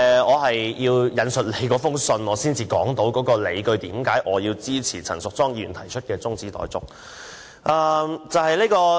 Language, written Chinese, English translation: Cantonese, 我要引述主席的覆函，才能說出我支持陳淑莊議員提出的中止待續議案的理據。, I have to quote the Presidents reply before I can explain the reasons why I support Ms Tanya CHANs adjournment motion